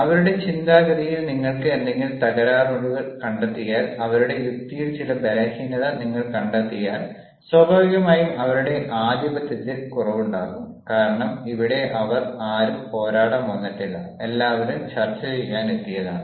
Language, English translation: Malayalam, if you find some fault in their line of thinking, if you find out some weakness in their logic, naturally there will be cut to size, because here they have, nobody has come to fight, everybody has come to discuss